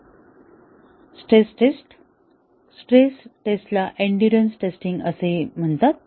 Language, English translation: Marathi, Stress tests; the stress tests is also called as endurance testing